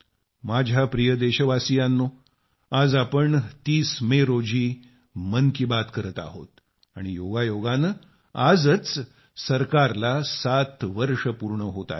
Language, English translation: Marathi, My dear countrymen, today on 30th May we are having 'Mann Ki Baat' and incidentally it also marks the completion of 7 years of the government